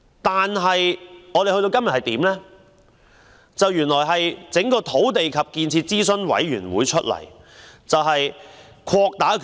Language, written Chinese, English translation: Cantonese, 但是，政府委任新一屆土地及建設諮詢委員會，擴大其權力。, Yet the Government has appointed a new term of Advisory Committee with more powers